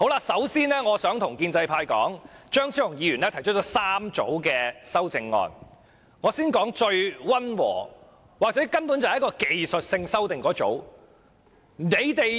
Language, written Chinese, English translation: Cantonese, 首先，張超雄議員提出了3組修正案，我先說最溫和，或者根本是技術性修訂的一組。, First of all Dr Fernando CHEUNG has proposed three groups of amendments and I am going to start with the mildest one a group of technical amendment